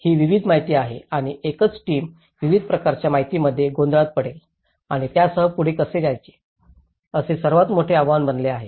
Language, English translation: Marathi, This is a variety of information and a single team will get confused of a variety of information and how to go ahead with it, this becomes biggest challenge